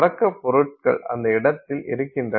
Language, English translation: Tamil, So, our starting materials are sitting at that location